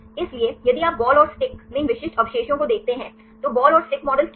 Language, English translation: Hindi, So, if you see these specific residues in the ball and sticks, right what is ball and stick model